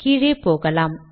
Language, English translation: Tamil, Lets go down